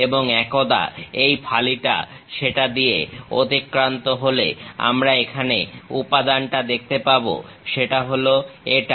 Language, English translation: Bengali, And, once this slice is passing through that we see a material here, that is this